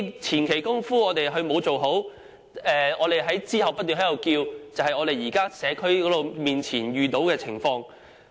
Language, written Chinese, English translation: Cantonese, 前期工夫不做好，事後才不斷提出要求，這便是我們社區目前遇到的情況。, The current problems faced by us in the community are inadequate preliminary work and incessant demands made afterwards